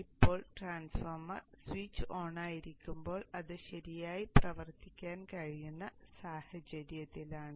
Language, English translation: Malayalam, The transformer right now is in a situation where it can operate properly when the switch is on